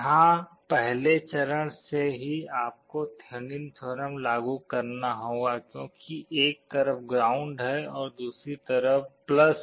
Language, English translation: Hindi, Here from the first step itself you have to apply Thevenin’s theorem because there is ground on one side and +V on other side